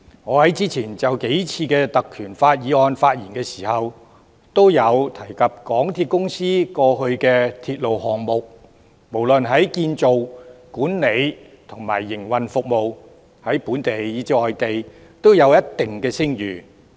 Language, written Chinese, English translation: Cantonese, 我在之前數次就根據《條例》動議的議案發言時，都提及香港鐵路有限公司過往的鐵路項目不論建造、管理和營運服務，在本地以至外地也有一定聲譽。, When I spoke on the motions moved under PP Ordinance on the previous few occasions I mentioned that the past railway projects of the MTR Corporation Limited MTRCL had considerable reputation both locally and overseas in terms of construction management and service operation